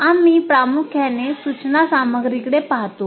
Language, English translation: Marathi, , we mainly look at the instruction material